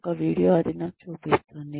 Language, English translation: Telugu, There is a video, that shows me